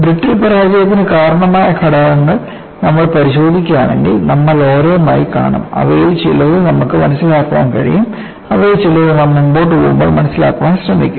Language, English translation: Malayalam, And if you look at the factors that triggered a brittle failure,we will see one by one; some of them we willbe able to understand; some of them we will develop the understanding, as we go by